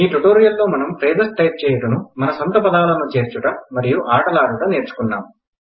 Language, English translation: Telugu, In this tutorial we learnt to type phrases, add our own words, and play a game